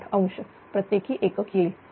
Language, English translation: Marathi, 078 degree per unit